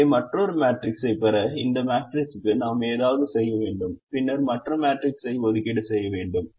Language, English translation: Tamil, so we need to do something to this matrix, to get another matrix, and then we need to make assignments in the other matrix